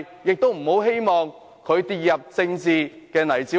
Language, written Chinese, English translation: Cantonese, 我們希望他不要跌入政治泥沼中。, We hope that he or she will not fall into the political quagmire